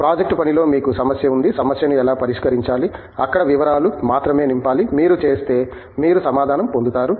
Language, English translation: Telugu, Project work you have the problem, how to solve the problem, there only the details have to be filled in, you do it you get the answer